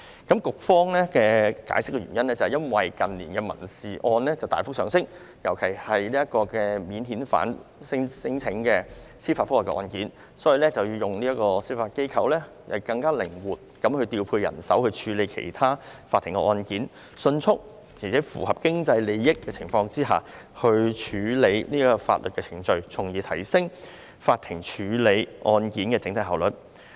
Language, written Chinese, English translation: Cantonese, 局方的解釋是，因為近年民事案件大幅上升，尤其是免遣返聲請的司法覆核案件，司法機構可更靈活地調配人手處理其他法庭案件，迅速並在合乎經濟效益的情況下處理法律程序，從而提升法庭處理案件的整體效率。, The explanation given by the Bureau is that there has been a rapid surge in civil caseloads in recent years particularly those initiated by way of judicial review for cases involving non - refoulement claims; and the proposed amendments can increase the flexibility in deployment of judicial manpower in taking up other court cases and allow expeditious and economical disposal of proceedings thus increasing the overall efficiency of case handling